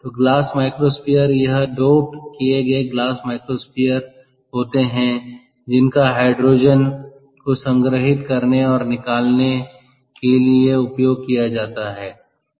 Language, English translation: Hindi, so, glass microspheres: ok, these are doped glass microspheres which are used to store and release hydrogen